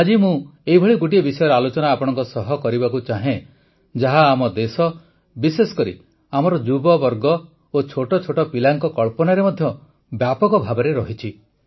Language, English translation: Odia, Today I want to discuss with you one such topic, which has caught the imagination of our country, especially our youth and even little children